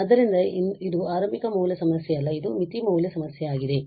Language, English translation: Kannada, So, this is not the initial value problem it is boundary value problem